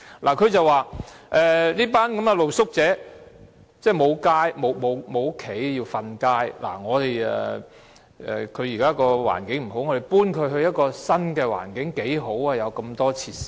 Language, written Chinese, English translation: Cantonese, 他說這群露宿者沒有家，要露宿街頭，住宿環境不好，將他們遷到新環境很好，可以享用很多設施。, He said that these street sleepers are homeless and have to sleep rough on the streets; and as their living environment is poor it will be very generous to move them to a new environment where they can enjoy many facilities